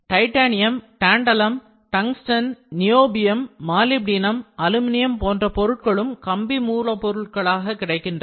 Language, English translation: Tamil, Pure metals like titanium, tantalum, tungsten, niobium, molybdenum and aluminum are also available as wire feedstock